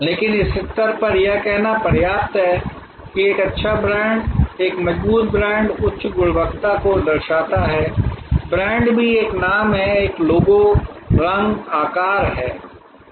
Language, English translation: Hindi, But, at this stage it is suffices to say that a good brand, a strong brand connotes high quality, brand also is the name, is a logo, colour, shape